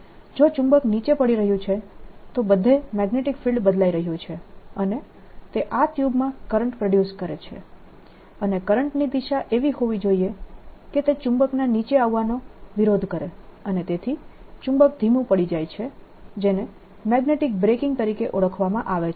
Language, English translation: Gujarati, if the magnet is falling down, the magnetic field everywhere is changing and that produces a current in this tube, and the direction of current should be such that it opposes the coming down of the magnet and therefore magnet slows down, what is known as magnetic braking